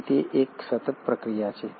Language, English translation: Gujarati, So it is a continuous process